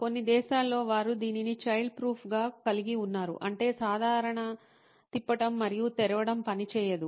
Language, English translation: Telugu, In some countries, they have it as child proof which means that just a normal rotating and opening will not work